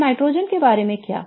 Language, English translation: Hindi, Now, what about the nitrogen